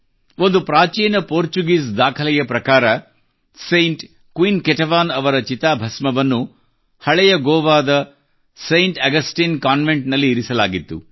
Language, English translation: Kannada, According to an ancient Portuguese document, the mortal remains of Saint Queen Ketevan were kept in the Saint Augustine Convent of Old Goa